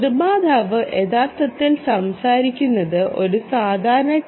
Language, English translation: Malayalam, the manufacturer is actually talking about ah